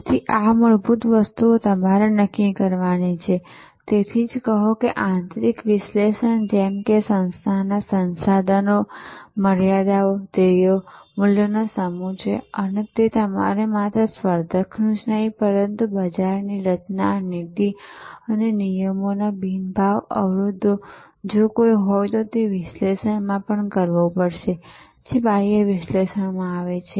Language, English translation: Gujarati, So, these things you have to determine, so fundamental; that is why say that there is a set of internal analysis, organizations resources, limitations, goals, values and you have to external analysis not only the competitor, but also the structure of the market the rules and regulations, non price barriers if any and so on